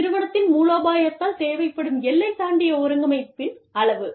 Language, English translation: Tamil, Amount of cross border coordination, required by the firm strategy